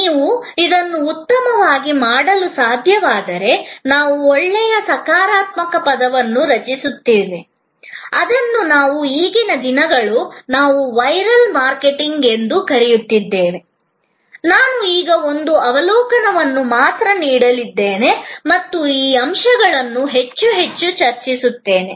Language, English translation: Kannada, If you are able to do this well, then we create a buzz, the positive word of mouth, which we are now a days, we are calling viral marketing, I am going to give only an overview now, I am going to discuss these aspects more and more as we proceed